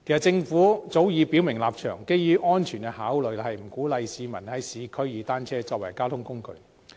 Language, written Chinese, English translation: Cantonese, 政府早已表明立場，基於安全考慮，不鼓勵市民在市區利用單車作為交通工具。, The Government has long since made its stance clear saying that due to safety concerns it does not encourage people to use bicycles as a mode of transport in the urban areas